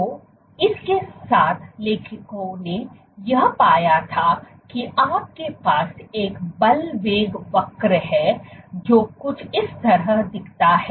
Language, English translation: Hindi, So, with this what the authors found was you had a force velocity curve, which looks something like this